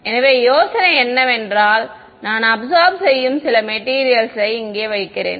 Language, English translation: Tamil, So, the idea is that maybe I can put some material over here that absorbs